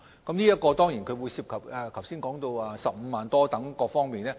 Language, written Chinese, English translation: Cantonese, 當然，有關研究亦涉及剛才提到的15萬元補償等方面。, Of course the study concerned has also covered such aspects as the compensation of 150,000 as mentioned just now